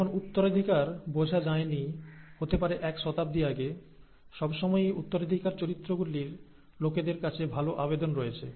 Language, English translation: Bengali, When inheritance was not understood, may be a century and a half ago, century ago, the inheritance of characters, of course has, has always had a good appeal with people